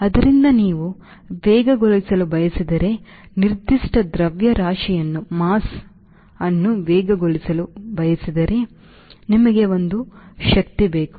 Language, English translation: Kannada, so if you want to accelerate, if you want to accelerate to given mass, you need a force